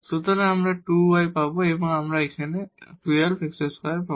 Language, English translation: Bengali, So, we will get 2 y and we will get here 12 x square